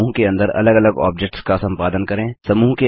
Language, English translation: Hindi, Only the objects within the group can be edited